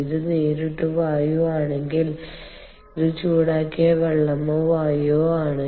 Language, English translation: Malayalam, ok, if it is air directly, so this is heated water or air